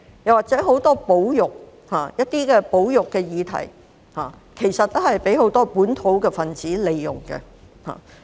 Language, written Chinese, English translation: Cantonese, 此外，就很多保育議題，其實均被很多本土分子所利用。, Moreover many conservation issues have actually been made use of by some localists